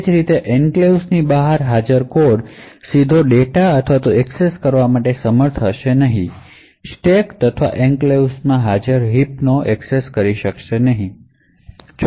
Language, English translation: Gujarati, Similarly code present outside the enclave will not be able to directly invoke data or access data in the stack or in the heap present in the enclave